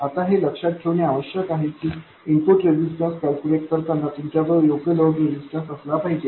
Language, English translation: Marathi, Now it is important to remember that while calculating the input resistance you should have the appropriate load resistance in place